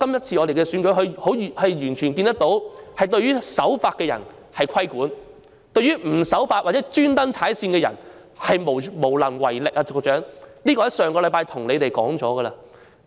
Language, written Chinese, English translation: Cantonese, 從區議會選舉可見，政府對於守法的人便規管，但對於不守法或故意踩界的人，是無能為力，這一點我在上星期已經提出了。, From the DC Election we noticed that the Government regulated the law - abiding people but could not take any action against those who did not obey the law or deliberately overstepped the mark . I raised this point last week